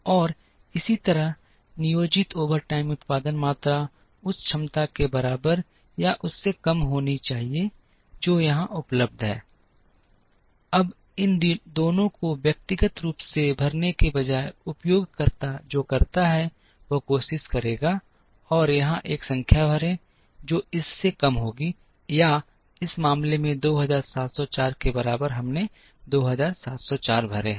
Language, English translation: Hindi, And similarly, the planned overtime production quantities should be less than or equal to the capacity that is available here, now instead of filling these two individually what the user does is the user will try and fill a number here, which will be less than or equal to 2704 in this case we have filled 2704